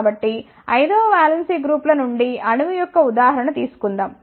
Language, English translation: Telugu, So, let us take an example of an atom from valence 5 groups